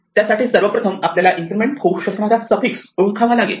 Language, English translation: Marathi, We want to find the longest suffix that cannot be incremented